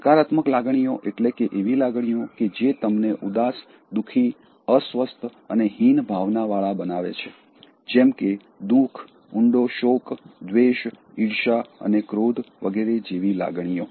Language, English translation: Gujarati, In terms of negative emotions, feelings that make you sad, painful, uncomfortable and inferior such as grief, deep sorrow, hate, jealousy and anger